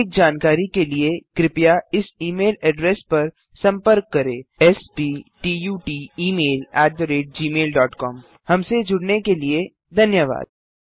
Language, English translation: Hindi, For more details, please contact us sptutemail@gmail.com